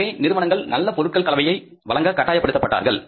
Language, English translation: Tamil, So, companies are compelled to offer the better product mix